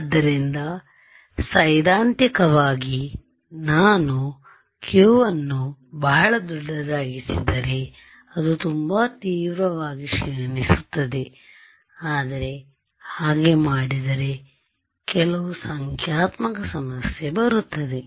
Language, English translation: Kannada, So, theoretically it seems that if I make q to be very large then it will decay very sharply, but there are certain numerical issues that happened when I do that